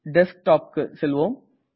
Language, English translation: Tamil, Lets go to the Desktop